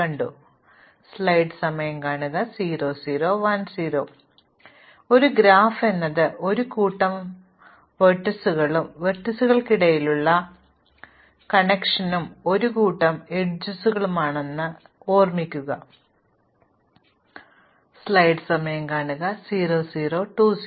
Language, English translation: Malayalam, So, recall that a graph is a set of vertices and a set of edges which are connections between the vertices, and these maybe directed or undirected